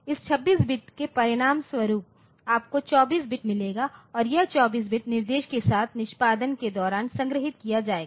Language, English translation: Hindi, As a result from this 26 bit you will get the 24 bit and this 24 bit will be stored with the instruction and during execution